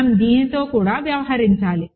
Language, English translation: Telugu, We have to also deal with this